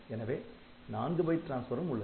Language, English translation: Tamil, So, you can have this 4 byte data transfer